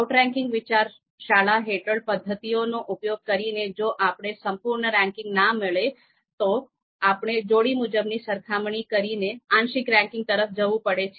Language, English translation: Gujarati, So under the outranking school of thought the methods that are there, we might not get the complete ranking, you know these pairwise comparison might lead us to partial ranking